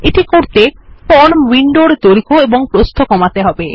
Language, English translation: Bengali, To do this, we will decrease the height and length of our form window